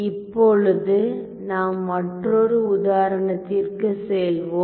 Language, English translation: Tamil, So, let us move ahead to another example now